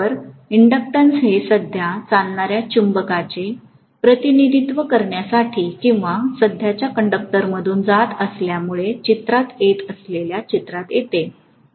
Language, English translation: Marathi, So the inductance comes into picture to represent the magnetism that is taking place or that is coming into picture because of a current passing through a conductor